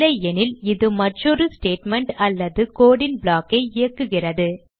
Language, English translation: Tamil, Else it executes another statement or block of code